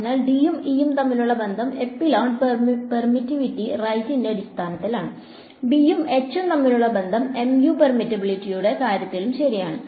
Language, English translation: Malayalam, So, the relation between D and E is in terms of epsilon permittivity right, relation between B and H is in terms of mu permeability ok